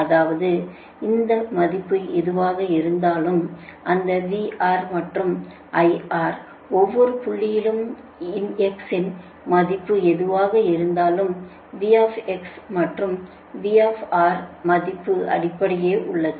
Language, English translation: Tamil, that means whatever may be the value of x, right that v r and i r at every point of x, that v x and v r that value remain same right